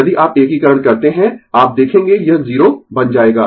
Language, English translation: Hindi, If you do integration, you will see this will become 0 right